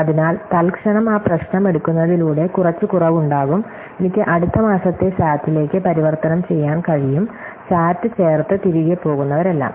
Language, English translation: Malayalam, So, there is some reduction by taking an instant that problem, I can converted into next month of SAT, so all those insert of sat and go back it is